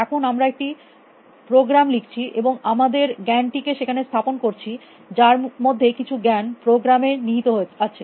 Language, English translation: Bengali, Now, we write a program and we put in our knowledge some of which in embedded into the program